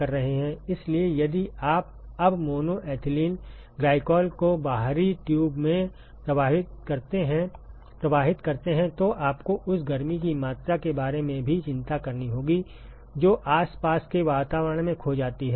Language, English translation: Hindi, So, if you now flow mono ethylene glycol in the outer tube, then you also have to worry about the amount of heat that is lost to the surroundings